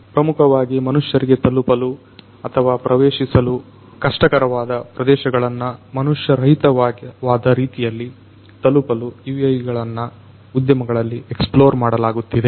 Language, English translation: Kannada, UAVs are being explored in the industry to autonomously in an unmanned manner to reach out to places, which are basically difficult to be reached or accessible by humans